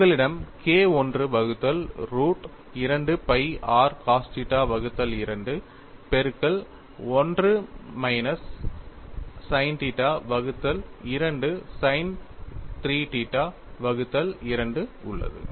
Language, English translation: Tamil, yYou have K 1 by root of 2 pi r cos theta by 2 multiplied by 1 minus sin theta by 2 sin 3 theta by 2